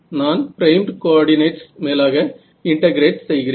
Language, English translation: Tamil, So, I am integrating over the primed coordinates ok